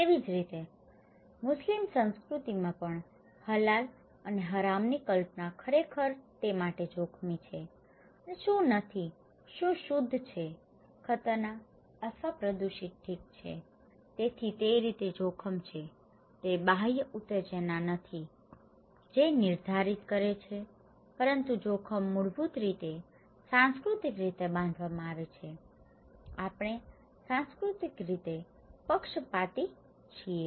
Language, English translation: Gujarati, Similarly, in Muslim culture also, the concept of Halal and Haram actually distinguish what is risky to it and what is not, what is pure, what is dangerous or polluted okay so, risk according to that way, itís not the external stimulus that determined but risk is basically, culturally constructed, we are culturally biased